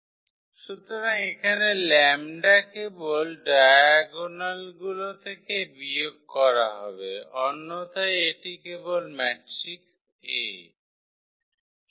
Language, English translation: Bengali, So, here the lambda will be just subtracted from the diagonal entries otherwise this is just the matrix a